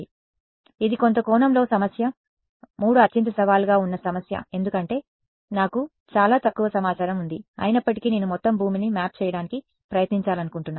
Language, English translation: Telugu, So, this is in some sense problem 3 is the most challenging problem because, I have very little information yet I want to try to map the whole earth ok